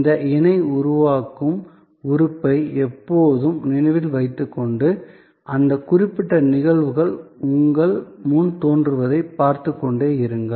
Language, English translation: Tamil, So, always remember this co creation element and keep watching that, particular phenomena emerging in front of you